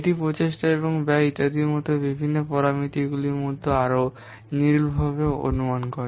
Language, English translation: Bengali, It more accurately estimate the different parameters such as effort and cost etc